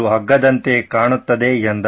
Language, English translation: Kannada, This looks like a rope